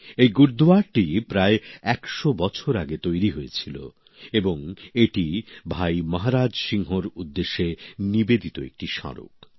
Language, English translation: Bengali, This Gurudwara was built about a hundred years ago and there is also a memorial dedicated to Bhai Maharaj Singh